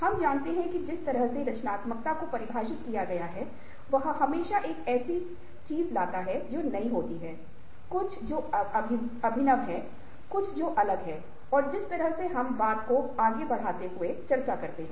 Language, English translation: Hindi, now, if we that ah, the way that ah creativity has been defined, always brings an element of something which is new, something which is innovative, something which is different, and ah, we will discuss that in ah greater detail as we proceed with this talk